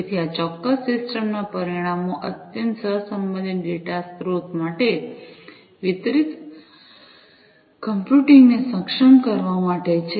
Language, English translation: Gujarati, So, the results of this particular system is to enable distributed computing, for highly correlated data sources